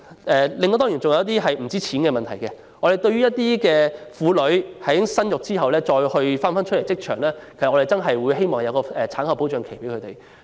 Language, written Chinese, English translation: Cantonese, 還有一些不僅關乎金錢的問題，例如對於婦女在生育後重投職場，我們希望可設立一段產後保障期。, There are other problems which involve not only money such as the introduction of a protection period of postnatal employment which we hope for